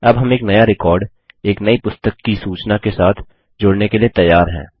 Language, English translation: Hindi, Now we are ready to add a new record, with information about a new book